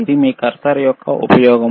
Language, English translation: Telugu, This is the use of your cursor, right,